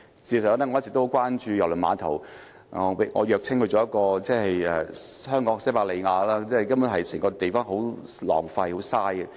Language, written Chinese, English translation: Cantonese, 事實上，我一直很關注郵輪碼頭，我謔稱它為香港的西伯利亞，因為根本浪費了整個地方。, Actually I am very concerned about the KTCT development . I have given it a playful appellation―Hong Kongs Siberia―to portray how a waste of the entire area is